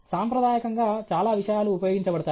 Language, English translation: Telugu, Traditionally, so many things are used